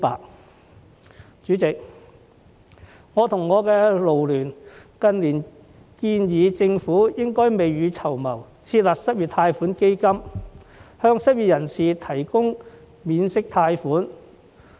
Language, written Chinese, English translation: Cantonese, 代理主席，我及勞聯近年建議政府應該未雨綢繆，設立失業貸款基金，向失業人士提供免息貸款。, Deputy President FLU and I have suggested in recent years that to prepare for rainy days the Government should set up an unemployment loan fund to provide interest - free loans to the unemployed